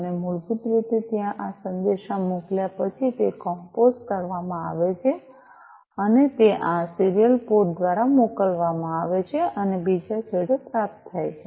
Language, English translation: Gujarati, And basically there after this message is sent it is composed and it is sent through this serial port and is being received at the other end, right